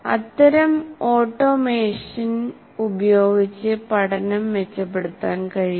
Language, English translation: Malayalam, Actually, such automation of the performance can be improved